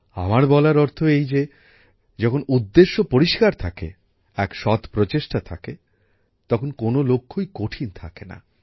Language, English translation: Bengali, What I mean to say is that when the intention is noble, there is honesty in the efforts, no goal remains insurmountable